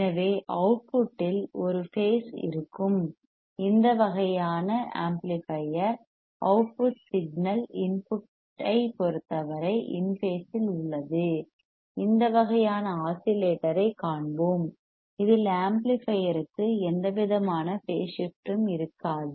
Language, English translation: Tamil, So, this kind of amplifier where there is a phase at the output the output signal is in phase with respect to input we will see this kind of oscillator in which the amplifier will not have any kind of phase shift ok